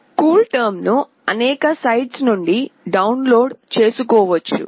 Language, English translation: Telugu, CoolTerm can be downloaded from several sites